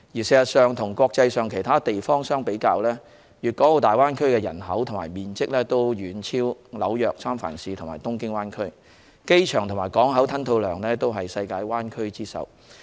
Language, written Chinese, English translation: Cantonese, 事實上，與國際上其他地方相比，大灣區的人口及面積均遠超紐約、三藩市和東京灣區，機場及港口吞吐量均為世界灣區之首。, Actually a comparison with other places of the world shows that when it comes to population size and geographical coverage the Greater Bay Area is way ahead of the New York metropolitan area the San Francisco Bay Area and the Tokyo Bay Area and it ranks the top among other bay areas worldwide in airport and seaport throughput